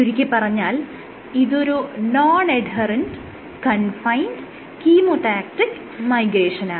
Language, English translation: Malayalam, So, it is non adherent and confined and it is chemotactic migration